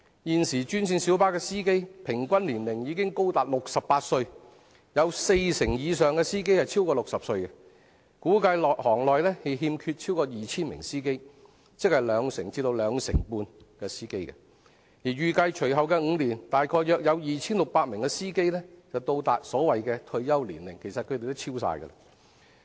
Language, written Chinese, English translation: Cantonese, 現時專線小巴司機平均年齡已高達68歲，有四成以上的司機超過60歲，估計行內欠缺超過 2,000 名司機，即兩成至兩成半司機，而預計隨後5年約有 2,600 名司機會達到退休年齡——其實是全部超過退休年齡。, At present the average age of green minibus drivers is already as high as 68 and more than 40 % of them are over 60 . It is estimated that there is a shortage of over 2 000 drivers in the industry amounting to 20 % to 25 % of the drivers needed and around 2 600 drivers are reaching the retirement age in the next five years―in fact all will be above the retirement age